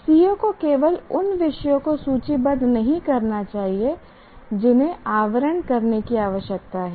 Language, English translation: Hindi, should not be stated or should not merely list the topics that need to be covered